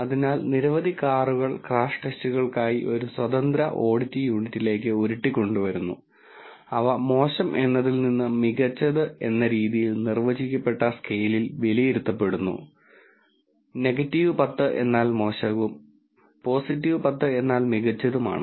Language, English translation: Malayalam, So, several cars have rolled into an independent audit unit for crash test and they have been evaluated on a defined scale from poor to excellent with poor being minus 10 and excellent being plus 10